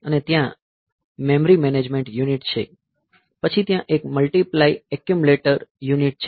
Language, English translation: Gujarati, And there is a memory management unit, then there is a multiply accumulate unit